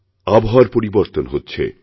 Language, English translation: Bengali, The weather is changing